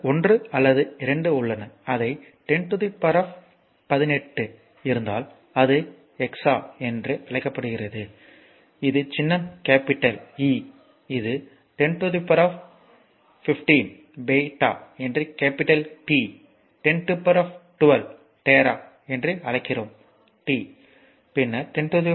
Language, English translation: Tamil, So, there are many 1 or 2, I am making that like if it is 10 to the power 18 it call exa it is symbol is capital E, you know this is 10 to the power 15 you call peta it is capital is your what capital P, we call 10 to the power 12 you call tera it is T, then 10 to the power 9 right